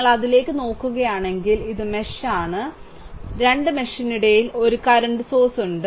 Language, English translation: Malayalam, And if you look into that, then this is mesh and this is 1 mesh and in between 2 mesh 1 current source is there right